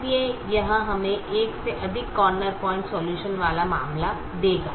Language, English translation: Hindi, so that would give us a case with more corner point solution being optimum